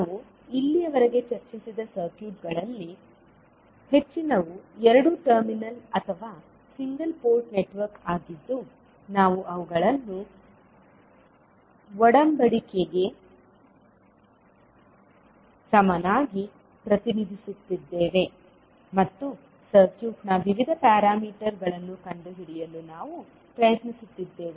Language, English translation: Kannada, So, most of the circuit which we have discussed till now were two terminal or single port network, where we were representing them as a covenant equivalent and we were trying to find out the various parameters of the circuit